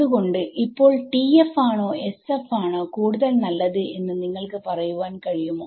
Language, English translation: Malayalam, So, now do you can you answer which is better between TF and SF